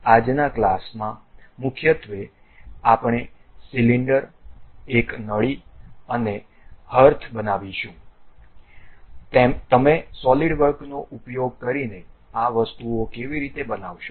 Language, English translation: Gujarati, In today's class mainly we will construct, a cylinder, a tube, and a hearth, how do you construct these things using Solidworks